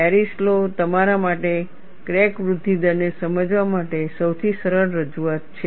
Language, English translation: Gujarati, Paris law is the simplest representation for you to understand the crack growth rate